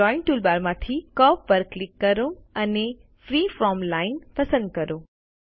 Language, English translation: Gujarati, From the Drawing toolbar click on Curve and select Freeform Line